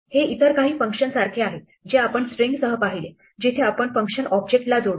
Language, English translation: Marathi, This is like some of the other function that you saw with strings and so on, where we attach the function to the object